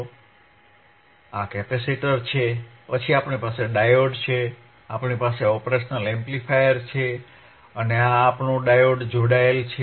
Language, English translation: Gujarati, So, this is a capacitor, then we have a diode we have a diode,, we have operational amplifier, right we have an operational amplifier, and my diode is connected my diode is connected